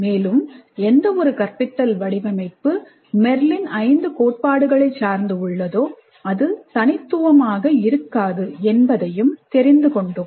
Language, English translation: Tamil, And we saw that the instruction design which implements all the five Merrill's principles is not unique